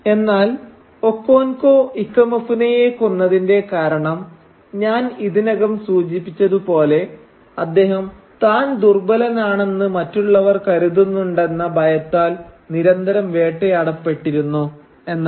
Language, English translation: Malayalam, But the reason that Okonkwo murders Ikemefuna is that, as I have already told you, he constantly is haunted by the fear that others might think that he is weak